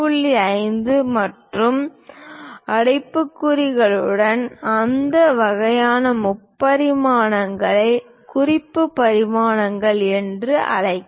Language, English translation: Tamil, 5 and arrow heads, that kind of dimensions are called reference dimensions